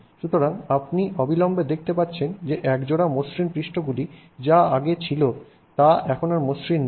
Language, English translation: Bengali, So, you can immediately see that what was a pair of, you know, smooth surfaces here is no longer a pair of smooth surfaces here